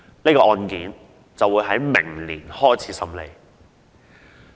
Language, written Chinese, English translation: Cantonese, 這宗案件會在明年開始審理。, The hearing of the case will start next year